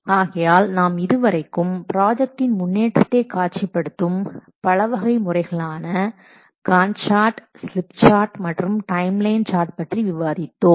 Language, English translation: Tamil, So we have discussed the various ways to visualize the progress of a project by using GANCHAR's, slip charts and timeline charts